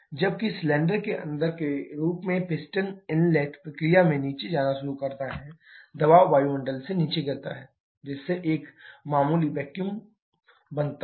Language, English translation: Hindi, Whereas in the inside the cylinder as piston starts to go down in the inlet process the pressure falls below atmospheric thereby creating a slight vacuum